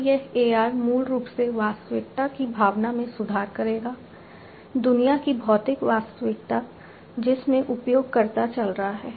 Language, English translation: Hindi, So, it AR basically will improve the feeling of the reality the physical reality of the world in which the user is operating